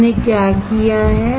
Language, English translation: Hindi, What we have done